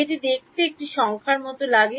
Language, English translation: Bengali, It looks like a numerical